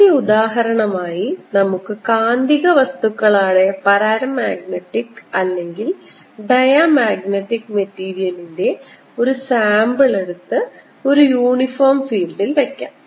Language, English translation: Malayalam, as the first example, let us take the case where i take a sample of magnetic material, paramagnetic or diamagnetic, and put it in a uniform field b